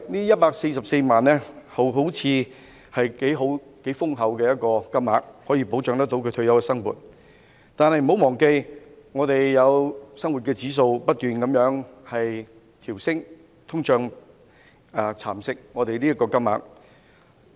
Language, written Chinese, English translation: Cantonese, 一百四十四萬元聽起來好像是頗豐厚的金額，可以保障其退休生活，但不要忘記，生活指數會不斷上升，通脹亦會蠶食這筆積蓄。, This 1.44 million sounds like a generous amount of money to protect his retirement life but do not forget that the index of living is ever rising and inflation will erode his savings